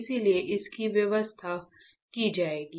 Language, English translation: Hindi, That is why it will be sorted right